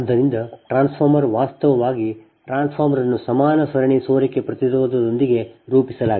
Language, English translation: Kannada, so the transformer actually the transformer is modeled with equivalent series leakage impedance